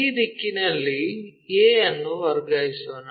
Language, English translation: Kannada, Let us transfer a from this direction